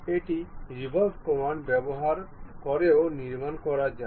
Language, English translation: Bengali, One can also construct using a revolve command